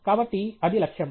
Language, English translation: Telugu, So, that was the target